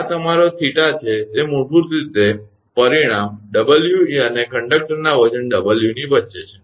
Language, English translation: Gujarati, This is your theta that is basically in between resultant W e and the weight of the conductor W